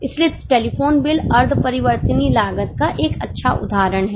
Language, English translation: Hindi, So, maintenance becomes a very good example of semi variable costs